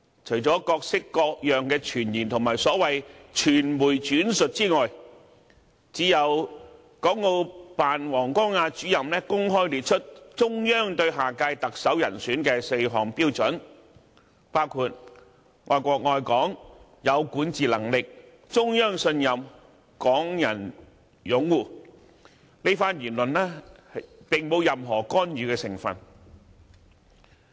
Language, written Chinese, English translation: Cantonese, 除了各式各樣的傳言和所謂傳媒轉述之外，只有國務院港澳事務辦公室王光亞主任公開列出中央對下屆特首人選的4項標準，包括"愛國愛港、有管治能力、中央信任、港人擁護"，這番言論並沒有任何干預的成分。, Other than rumours of all kinds and the so - called media reports only WANG Guangya Director of the Hong Kong and Macao Affairs Office of the State Council had stated publicly the four criteria of the Central Authorities for the next Chief Executive which include loving the country and Hong Kong having the ability to govern being trusted by the Central Authorities and being supported by Hong Kong people . There is not an element of interference in this statement